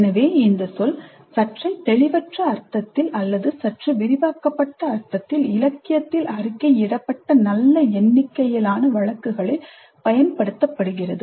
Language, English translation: Tamil, So, the term is being used somewhat in a slightly vague sense or in a slightly expanded sense in quite a good number of cases reported in the literature